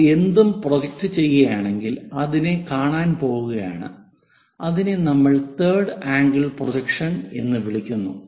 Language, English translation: Malayalam, the views whatever we obtain we call that as either first angle projection or the third angle projection